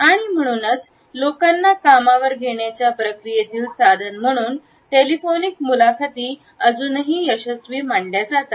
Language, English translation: Marathi, And that is why we find the telephonic interviews are still considered to be a successful tool in the process of hiring people